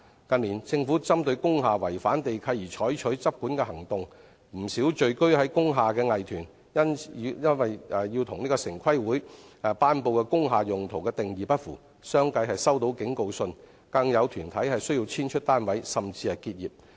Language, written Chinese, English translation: Cantonese, 近年，政府針對工廈違反地契而採取執管行動，不少進駐工廈的藝團因其活動與城市規劃委員會頒布的"工廈用途"的定義不符，相繼收到警告信，更有團體須遷出單位，甚至結業。, In recent years enforcement action has been taken by the Government on breaches of land leases of industrial buildings . Not a few arts troupes renting places in the industrial buildings received warning letters because their activities were not in line with the definition of use of industrial buildings announced by the Town Planning Board . As a result some arts troupes have to move out of the units and even close their businesses